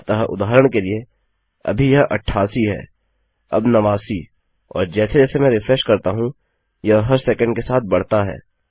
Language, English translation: Hindi, So for example, at this moment you can see this 88, now 89 and as I keep refreshing, by every second this increases